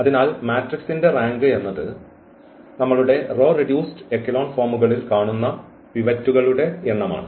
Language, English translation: Malayalam, So, rank of the matrix is the number of the pivots which we see in our reduced a row echelon forms